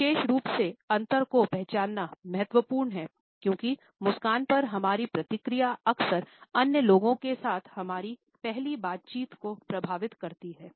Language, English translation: Hindi, It is particularly important to identify the difference because our response to the smile often influences our first interactions with other people